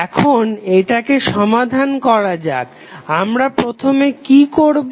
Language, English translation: Bengali, Now, let us solve it, what we have to do first